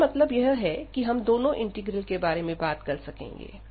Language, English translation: Hindi, And we will be talking about this improper integrals